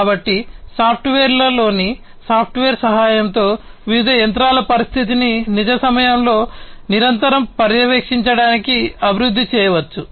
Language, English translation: Telugu, So, with the help of software in a software can be developed to basically monitor the condition of the different machinery in real time continuously and so, on